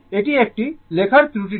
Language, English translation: Bengali, This is my writing error